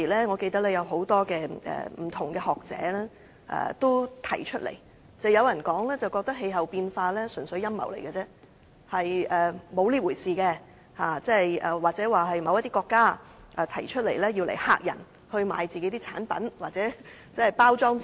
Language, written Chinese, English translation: Cantonese, 我記得當時有許多學者表示氣候變化問題純粹是陰謀，實際並沒有這回事，又指這是某些國家提出來嚇人，以期銷售他們自己的產品或包裝自己。, I remember that many scholars had denied the validity of those climate change concerns and criticized them as mere conspiracies while some considered them alarmist talk raised by certain countries to promote their products or package their countries